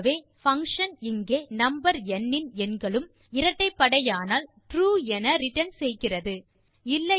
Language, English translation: Tamil, The function here returns True if all the digits of the number n are even, otherwise it returns False